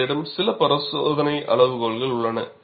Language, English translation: Tamil, And you have certain screening criteria